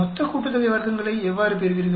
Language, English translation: Tamil, How do you get that total sum of squares